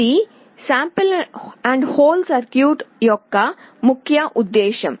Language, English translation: Telugu, This is the main purpose of sample and hold circuit